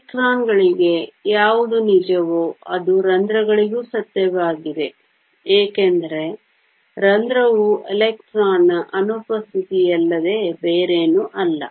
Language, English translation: Kannada, What is true for electrons is also true for holes because a hole is nothing but an absence of an electron